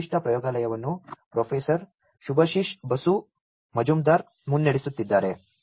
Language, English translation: Kannada, This particular lab is lead by Professor Subhasish Basu Majumder